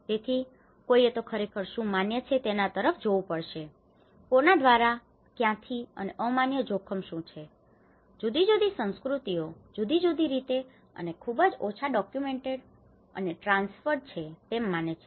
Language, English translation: Gujarati, So, one has to really look into what is acceptable, to whom, by what, from what and what is an unacceptable risk, maybe different cultures perceive that in a different way, and less is very documented and transferred